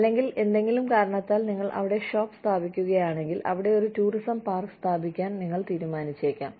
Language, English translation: Malayalam, Or, if you set up shop there, for whatever reason, you may decide to put up a, say, a tourist park, over there